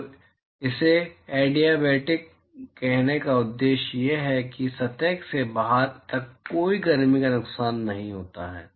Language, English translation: Hindi, So, the purpose of saying it adiabatic is that there is no heat loss from the surface to outside that is all